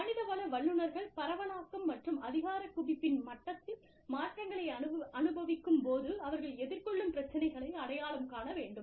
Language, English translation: Tamil, Identification of problems faced by HR professionals, as they experience changes, in the level of decentralization and centralization